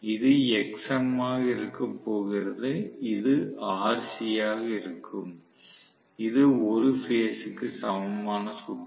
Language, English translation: Tamil, This is going to actually be my xm and this is going to be rc, right per phase equivalent circuit